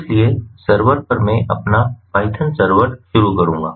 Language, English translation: Hindi, so over at the server end i will start my python server